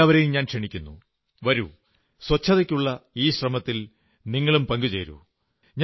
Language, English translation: Malayalam, I invite one and all Come, join the Cleanliness Campaign in this manner as well